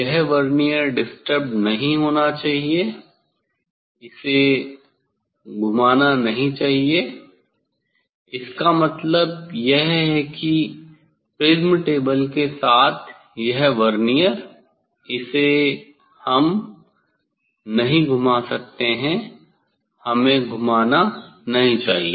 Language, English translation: Hindi, this Vernier should not disturbed, it should not rotate; that means this prism table with Vernier we cannot rotate we should not rotate